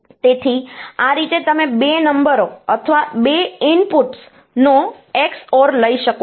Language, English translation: Gujarati, So, this is you can take the XOR of the 2 numbers or 2 inputs